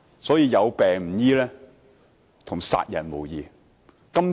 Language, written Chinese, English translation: Cantonese, 所以，有病卻不醫治，與殺人無異。, This explains why failing to treat illnesses is tantamount to killing someone